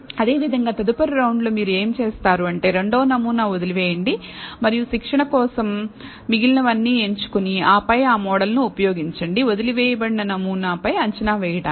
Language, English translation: Telugu, And similarly, in the next round what you do is, leave out the second sample and choose all the remaining for training and then use that model for predicting on the sample that is left out